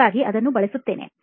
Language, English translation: Kannada, So I use that